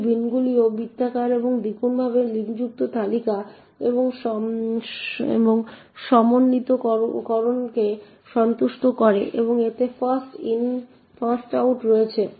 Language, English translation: Bengali, These bins are also circular and doubly linked list and satisfy coalescing okay and it has First in First out